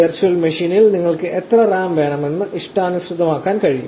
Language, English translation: Malayalam, You can customize how much RAM you want for the virtual machine